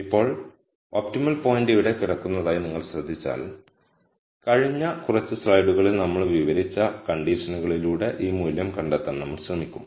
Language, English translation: Malayalam, Now, if you notice the optimum point is going to lie here and we are going to try and find out this value through the conditions that we described in the last few slides